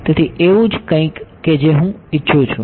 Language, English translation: Gujarati, So, something like that is what I want